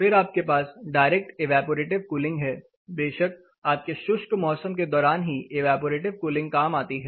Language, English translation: Hindi, Then you have direct evaporative cooling of course, evaporative cooling works during your dry season